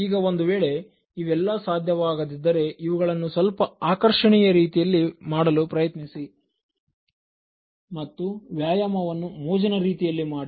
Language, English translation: Kannada, Now, if all these things are not working out try to make it attractive, try to make exercise a fun